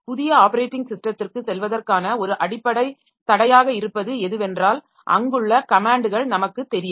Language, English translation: Tamil, A basic obstacle in going to a new operating system is that we do not know the commands there